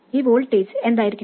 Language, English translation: Malayalam, What should this voltage be